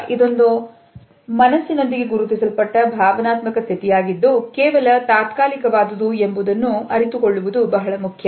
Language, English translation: Kannada, However, it is also important to realize that the emotional state which is identified with it should be only temporary